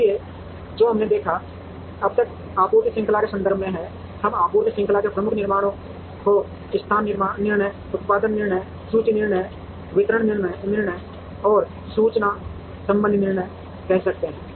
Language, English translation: Hindi, So, what we have seen, so far are from the context of supply chain we could call major decisions in supply chain as location decisions, production decisions, inventory decisions, distribution decisions and information related decisions